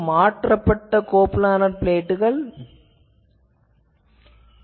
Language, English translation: Tamil, Now, this is modified coplanar plate